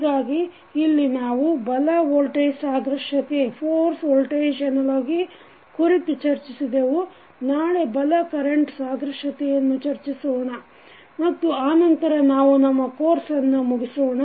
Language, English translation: Kannada, So, in this we discussed force voltage analogy, tomorrow we will discuss force current analogy and then we will wind up our course